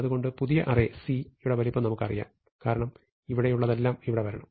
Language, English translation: Malayalam, Now we know the size of C, because everything there must come here